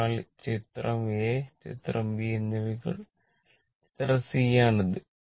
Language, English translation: Malayalam, So, this is for figure c for figure a and figure b right